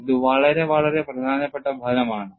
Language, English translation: Malayalam, It is a very very important result